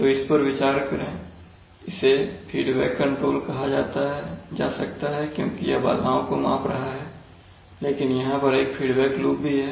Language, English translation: Hindi, So ponder over it, it could be called a feed forward control because it is sensing the disturbance, but at the same time there is also a feedback loop